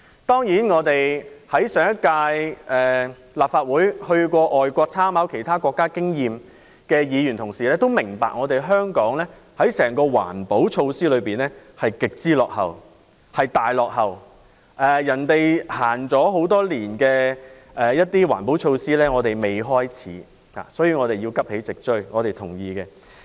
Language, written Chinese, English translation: Cantonese, 當然，在上屆立法會曾前往外國參考其他國家經驗的議員也明白，整體而言，香港的環保措施極為落後，其他國家已實行多年的環保措施，我們仍未開始，所以我們認同香港要急起直追。, Of course Members of the last Legislative Council who went overseas to study the experience of other countries should understand that Hong Kongs environmental protection policies are extremely backward in general . We have yet to introduce some environmental protection measures which have been in place in other countries for many years . Therefore we agree that Hong Kong should catch up expeditiously